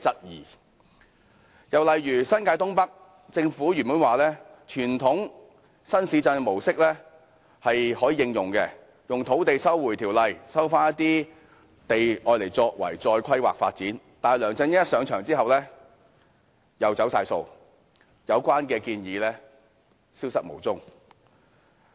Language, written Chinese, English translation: Cantonese, 又以新界東北為例，政府原本說可按傳統新市鎮的模式，引用《收回土地條例》收回土地再作規劃發展，但梁振英上場後又完全"走晒數"，有關建議消失無蹤。, The Government originally said that the areas could be developed under the Conventional New Town approach and lands would be resumed for redevelopment pursuant to the Land Resumption Ordinance Cap . 124 . But after LEUNG Chun - ying assumed office he reneged on the pledges and the relevant proposals simply disappeared